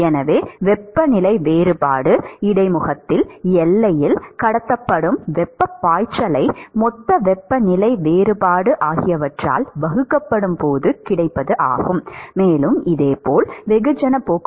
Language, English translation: Tamil, So, that is the flux of heat that is transported at the boundary at the interface divided by the temperature difference, bulk temperature difference